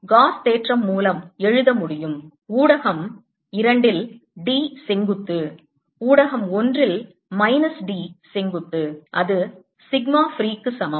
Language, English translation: Tamil, i can write by gausas theorem that d perpendicular in median two minus d perpendicular in medium one is equal to sigma free